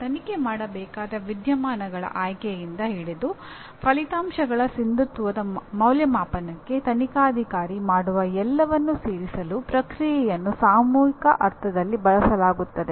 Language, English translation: Kannada, Process is used in the collective sense to include everything the investigator does from this selection of the phenomena to be investigated to the assessment of the validity of the results